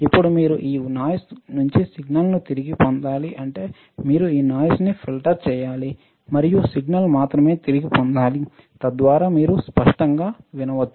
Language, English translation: Telugu, Then you have to retrieve this signal from the noise right that means, you have to filter out this noise and retrieve only the signal, so that you can hear it clearly all right